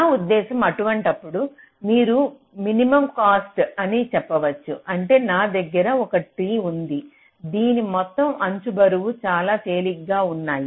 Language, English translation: Telugu, you can say minimum cost, which means i have a tree whose total edge weights are very light